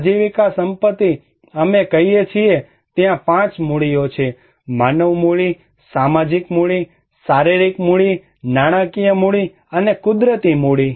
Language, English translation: Gujarati, Livelihood assets we say that there are 5 capitals; human capital, social capital, physical capital, financial capital, and natural capital